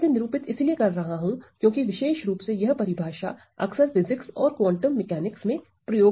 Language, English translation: Hindi, So, why I am denoting this is, because this particular definition is used often in physics or quantum mechanics